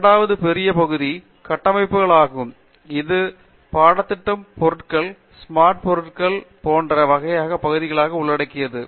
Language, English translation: Tamil, And then, the second large area is structures, which involves which also a course includes some materials, smart materials, those kinds of areas